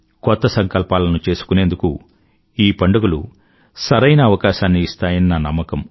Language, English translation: Telugu, I am sure these festivals are an opportunity to make new resolves